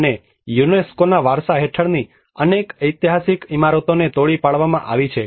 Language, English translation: Gujarati, And many of the historic buildings which are under the UNESCO heritage have been demolished